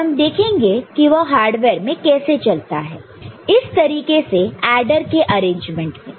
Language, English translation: Hindi, And we shall see that how it works in hardware all right, in this particular adder based arrangement